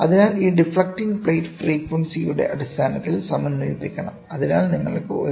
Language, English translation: Malayalam, So, these deflecting plates must be synchronized in terms of frequency; so that you get a output